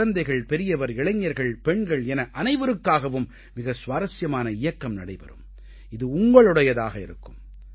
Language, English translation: Tamil, It will be a very interesting campaign for everyone children, the elderly, the young and women and it will be your own movement